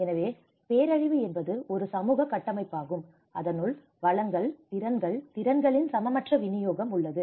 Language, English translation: Tamil, So, disaster is a social construct because there has been an unequal distribution of resources, skills, abilities